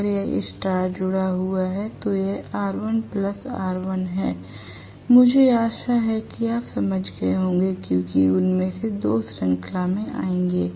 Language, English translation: Hindi, If it is star connected it will come out to be R1 plus R1, I hope you understand because 2 of them will come in series